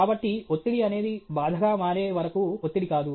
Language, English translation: Telugu, So, stress by itself is not stressful until it becomes distress